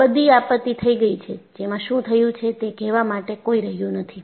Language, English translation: Gujarati, All those disasters are happened, where there are no one will remain to tell you what happened